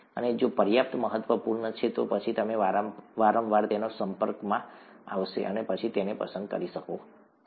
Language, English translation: Gujarati, And if it is important enough, then you would be repeatedly exposed to it and you can pick it up